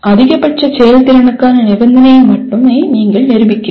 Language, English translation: Tamil, You are only proving the condition for maximum efficiency